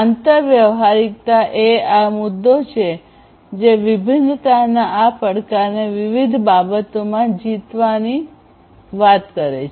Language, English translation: Gujarati, So, interoperability is this issue which talks about conquering this challenge of heterogeneity in all different respects